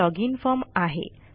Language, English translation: Marathi, It is a login form